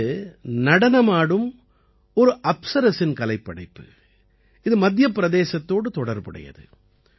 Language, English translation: Tamil, This is an artwork of an 'Apsara' dancing, which belongs to Madhya Pradesh